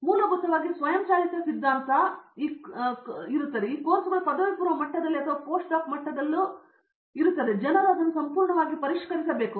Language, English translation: Kannada, Basically automated theory these courses people either in the undergraduate level or in the post graduate level there should thorough it